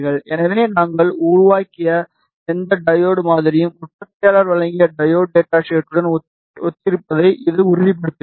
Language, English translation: Tamil, So, this confirms that whatever diode model that we have built is in sync with the diode data sheet provided by the manufacturer, cancel this